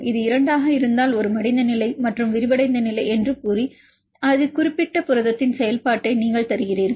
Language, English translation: Tamil, So, this will give you the state if it is 2 then saying a folded state and the unfolded state, then you give the activity of that particular protein